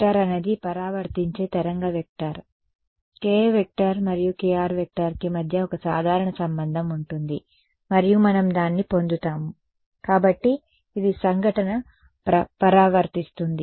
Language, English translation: Telugu, K r dot r right; k r is the reflected wave vector there will be a simple relation between k i and k r which we will derive ok, and so this is reflected so incident